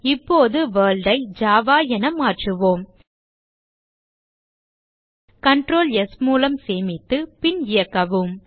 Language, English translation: Tamil, Now let us change the World to Java Save it with Ctrl + S and Run it